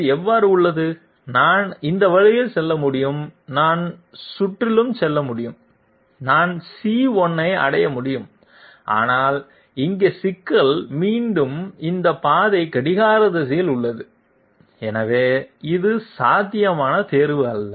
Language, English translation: Tamil, What about this, I can move this way, I can go all around and I can reach C1, but here is the problem is once again this path is clockwise, so this is not a possible choice